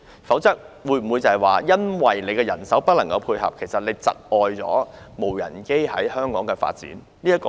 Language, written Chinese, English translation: Cantonese, 否則，會否因為沒有人手配合而窒礙無人機在香港的發展？, If not will the shortage of manpower impede the development of UAS in Hong Kong?